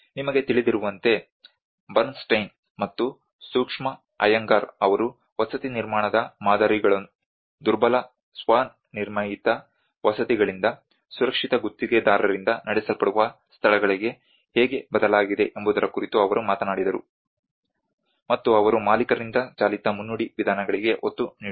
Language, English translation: Kannada, Where you know Bernstein and Sushma Iyengar, they talked about how the paradigms from the housing construction India have shifted from the vulnerable self built housing to the safe contractor driven and they also emphasize on the owner driven prologue approaches